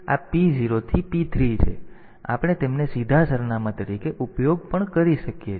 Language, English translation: Gujarati, So, we can use them as direct addresses